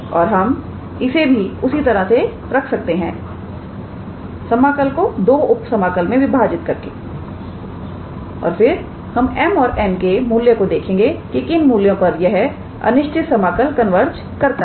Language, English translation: Hindi, And we can put it in the similar fashion by dividing the integral into two sub integrals and then we look into the values of m and n for which we can talk about the convergence of this improper integral